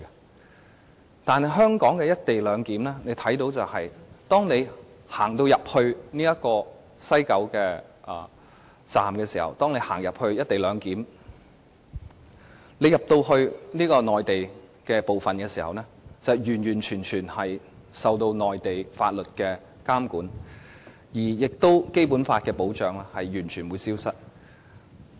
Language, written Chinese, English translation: Cantonese, 但是，大家看到香港的"一地兩檢"卻是，當你走到西九龍區總站實施"一地兩檢"的地方，進入內地的部分時，你將完全受到內地法律的監管，而《基本法》給予的保障亦會完全消失。, In contrast under the co - location arrangement we see in Hong Kong once you enter the Mainland portion of the co - location area in West Kowloon Station you are totally subject to the control and regulation of Mainland laws and are stripped of all the protection under the Basic Law